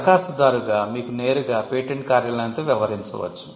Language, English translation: Telugu, As an applicant, you can directly deal with the patent office